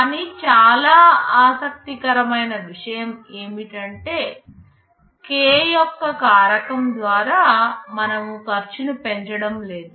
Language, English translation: Telugu, But the very interesting thing is that we are not increasing the cost by a factor of k